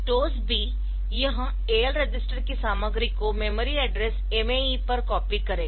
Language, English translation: Hindi, So, this STOSB, it will be copying the content of the registered AL on to this memory address MA E